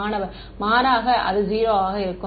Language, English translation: Tamil, Contrast so, it going to be 0